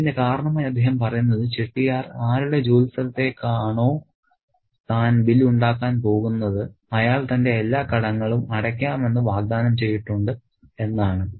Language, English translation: Malayalam, And that's because he says that the Chetier to whose workplace that he goes to make bills, he has apparently promised him that he would pay off all his debts